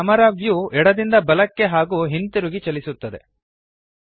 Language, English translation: Kannada, The Camera view moves left to right and vice versa